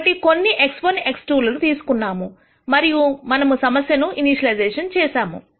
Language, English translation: Telugu, So, we have picked some x 1, x 2, and we have initialized this problem